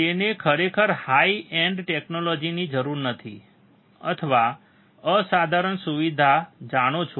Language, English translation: Gujarati, It does not really require high end technology or you know extraordinary facility